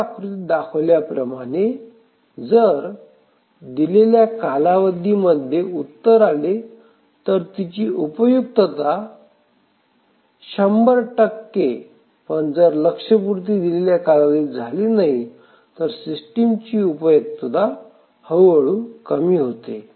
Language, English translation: Marathi, So, as this diagram shows that as long as the result is produced within the deadline, the utility is 100 percent, but if it s produced after the deadline then the utility gradually reduces